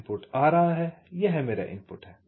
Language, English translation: Hindi, the input is coming, this my input